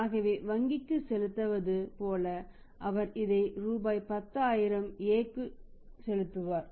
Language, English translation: Tamil, Now this 10000 rupees he will pay and he will pay to the A